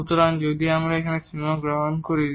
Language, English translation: Bengali, So, if we take the limit here